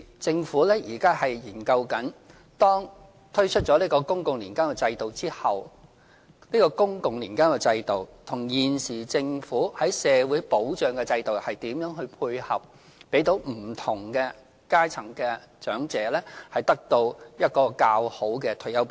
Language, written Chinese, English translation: Cantonese, 政府現正研究，當推出公共年金制度後，這個公共年金制度與現時政府的社會保障制度如何配合，讓不同階層的長者得到較好的退休保障。, The Government is now studying how the public annuity scheme can tie in with the Governments Comprehensive Social Security Assistance system after launching the public annuity scheme so that elderly people from different walks of life can receive better retirement protection